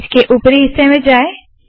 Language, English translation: Hindi, Go to the top of this